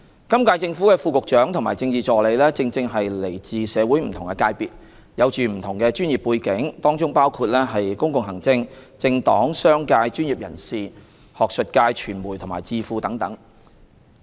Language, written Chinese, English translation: Cantonese, 今屆政府的副局長及政治助理正正是來自社會不同的界別，有不同的專業背景，當中包括公共行政、政黨、商界、專業人士、學術界、傳媒及智庫等。, A case in point is the Deputy Directors of Bureau and Political Assistants of the current - term Government . They are talents from various sectors of the community with different professional backgrounds such as public administration political parties business professionals academia media and think tanks etc